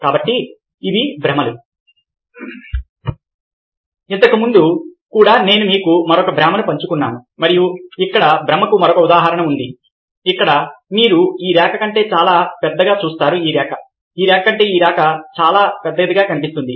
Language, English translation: Telugu, so illusions earlier also i said with you another illusion, and here is another example of illusion of where you see that this line looks much larger than ah, much smaller than this line